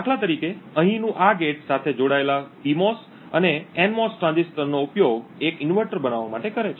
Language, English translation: Gujarati, Like for instance this gate over here uses a PMOS and an NMOS transistor coupled together to form an inverter